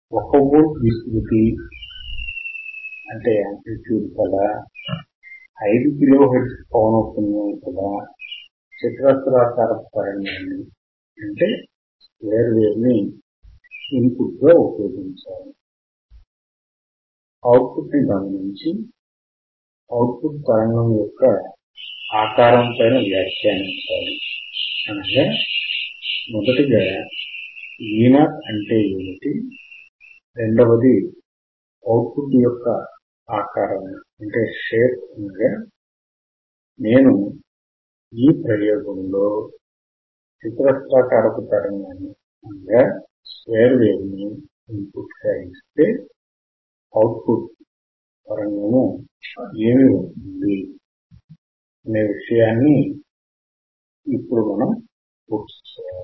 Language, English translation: Telugu, We apply square wave 1 volt right; 5 kilohertz at the input we had to observe the output voltage and we had to comment on the shape of the output waveform; that means, first is: what is Vo; and second is: what is the shape of the output; that means, if I apply square wave what will be may output signal alright at this particular experiment we had to perform